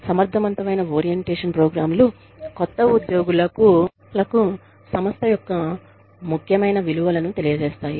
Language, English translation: Telugu, Effective orientation programs, communicate to the new employees, the values, important to the organization